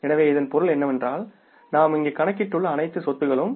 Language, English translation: Tamil, So, it means all the assets almost we have accounted for